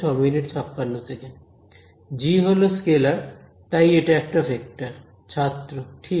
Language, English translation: Bengali, g is a scalar, so, the this is overall a vector